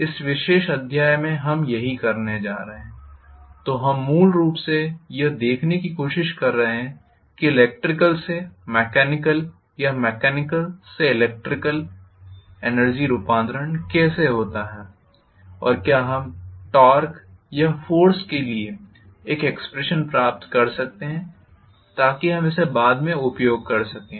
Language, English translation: Hindi, That is what we are going to in this particular chapter, we are essentially trying to look at how electrical to mechanical or mechanical to electrical energy conversion takes place and whether we can get an expression for the torque or force so that we would be able to utilize it later